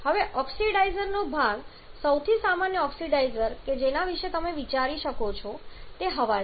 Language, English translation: Gujarati, Now the oxidizer part the most common oxidizer that you can think of is air